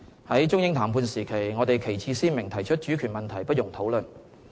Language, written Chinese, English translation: Cantonese, 在中英談判時期，我們旗幟鮮明提出主權問題不容討論。, That is why in the negotiations with the United Kingdom we made it categorically clear that sovereignty is not for negotiation